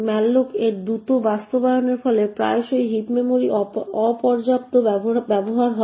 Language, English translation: Bengali, Such fast implementation of malloc would quite often result in insufficient use of the heap memory